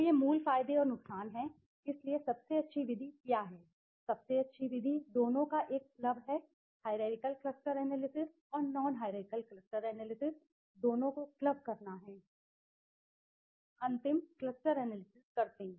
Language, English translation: Hindi, So, these are the basic advantages and disadvantages, so what is the best method, the best method is to have a club of both right, have to club both hierarchical cluster analysis and non hierarchical cluster analysis and do the final cluster analysis right